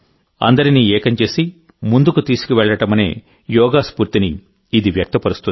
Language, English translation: Telugu, It expresses the spirit of Yoga, which unites and takes everyone along